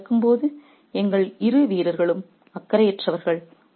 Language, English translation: Tamil, While this is happening, our two players are unconcerned